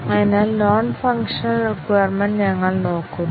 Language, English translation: Malayalam, So, we look at the non functional requirements